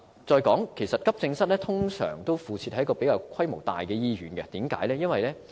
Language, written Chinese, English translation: Cantonese, 再者，急症室通常附設在規模較大的醫院，為甚麼呢？, Moreover AE departments are normally attached to larger hospitals . Why?